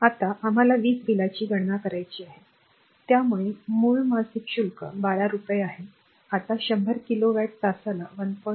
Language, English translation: Marathi, Now, we have to calculate the electricity bill so, base monthly charge is rupees 12 now 100 kilowatt hour at rupees 1